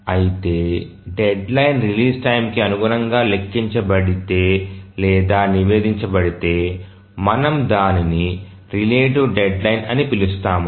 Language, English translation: Telugu, Whereas if the deadline is computed or is reported with respect to the release time, then we call it as the relative deadline